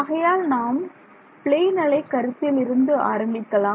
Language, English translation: Tamil, So, let us start with the plane wave idea